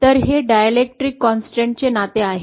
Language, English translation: Marathi, So this is the relationship for the dielectric constant